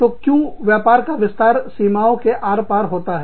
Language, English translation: Hindi, So, why has business expanded, across the border